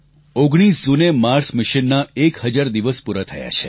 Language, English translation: Gujarati, On the 19th of June, our Mars Mission completed one thousand days